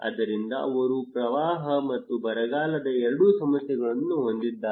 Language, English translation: Kannada, So they have both issues of flood and drought